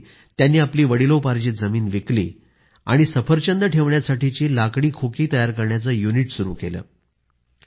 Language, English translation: Marathi, He sold his ancestral land and established a unit to manufacture Apple wooden boxes